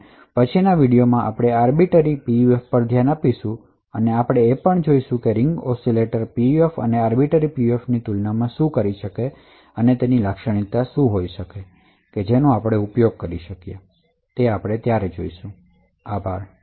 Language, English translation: Gujarati, In the next lecture we will also, look at Arbiter PUF and we will also, compare the Ring Oscillator PUF and the Arbiter PUF and see what are the characteristics and where each one can be used, thank you